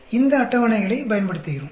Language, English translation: Tamil, So, we make use of these tables